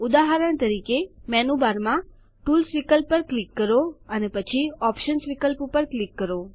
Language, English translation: Gujarati, For example, click on the Tools option in the menu bar and then click on Options